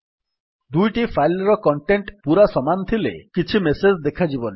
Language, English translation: Odia, If the two files have exactly same content then no message would be shown